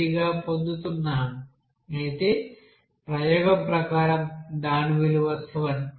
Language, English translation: Telugu, 3 whereas its value as per experiment, it is 7